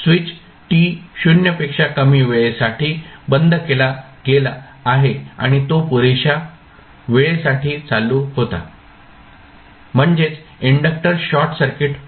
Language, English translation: Marathi, So, when switch is closed for time t less than 0 and it was switched on for sufficiently long time it means that the inductor was short circuited